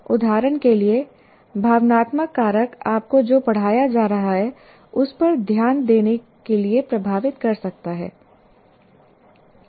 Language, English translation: Hindi, For example, emotional factor can influence you not to pay attention to what is being taught